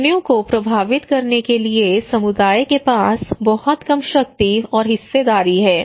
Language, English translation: Hindi, So community has a very less power, very less stake to influence the decisions